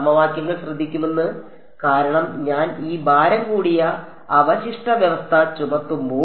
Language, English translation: Malayalam, That the equations will take care off; because when I impose this weighted residual condition